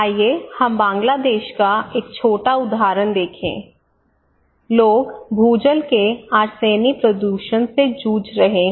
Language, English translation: Hindi, Let us look a small example here in Bangladesh; people are battling with arsenic, arsenic contamination of groundwater